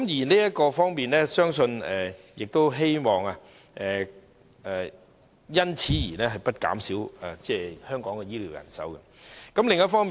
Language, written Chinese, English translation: Cantonese, 在這方面，我亦希望不會因此而減少香港的醫療人手。, In this regard I hope this will not reduce the manpower for Hong Kongs health care system